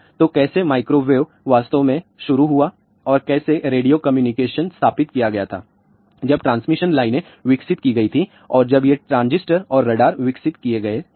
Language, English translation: Hindi, So, how the microwaves really started and how the radio communication was established when the transmission lines were developed and when these ah transistors and radars were developed